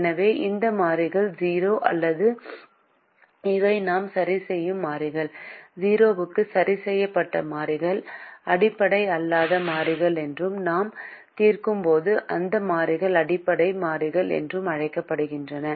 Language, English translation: Tamil, so these variables which we are fixing at zero, or these variables which we are fixing variables fix to zero, are called non basic variables and those variables that we are solving are called basic variables